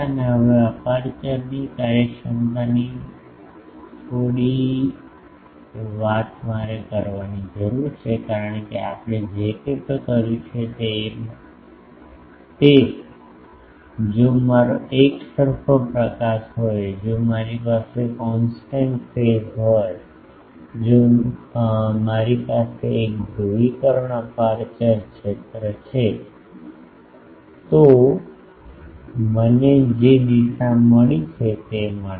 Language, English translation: Gujarati, Now, aperture efficiency I need to talk a bit because whatever we have done that if I have an uniform illumination, if I have a constant phase illumination, if I have a single polarisation aperture field then I get the directivity I have found